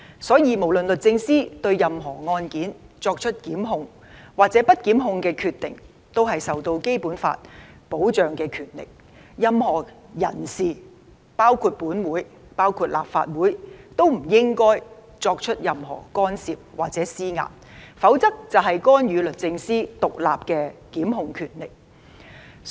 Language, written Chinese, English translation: Cantonese, 所以，不論律政司對任何案件作出檢控或不檢控的決定，也是受到《基本法》保障的權力，任何人士，包括立法會也不應作出任何干涉或施壓，否則便是干預律政司獨立的檢控權力。, Therefore no matter whether the Department of Justice makes a decision to prosecute or not it is a power protected by the Basic Law . Nobody including the Legislative Council should intervene or put pressure on it . Otherwise it is an intervention into the independent prosecution power of the Department of Justice